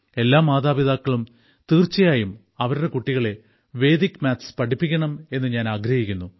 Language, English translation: Malayalam, I would like all parents to teach Vedic maths to their children